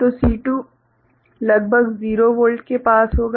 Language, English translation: Hindi, So, C2 will be having a near about 0 Volt